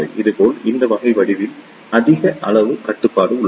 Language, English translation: Tamil, Similarly, there is a high level of control in this type of geometries